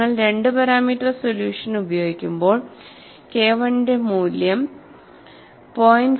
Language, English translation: Malayalam, And when you use a 2 parameter solution, the value of K 1 is 0